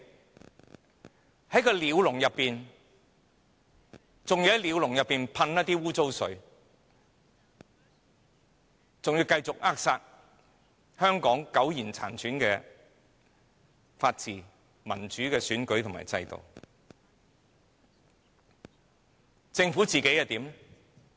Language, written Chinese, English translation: Cantonese, 我們被困在鳥籠裏，他們還要向鳥籠噴灑污水，繼續扼殺香港苟延殘喘的法治、民主的選舉和制度。, We who are kept in a bird cage are sprayed with soil water watching the withering rule of law democratic election and system of Hong Kong being stifled